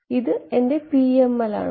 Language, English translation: Malayalam, This is my PML right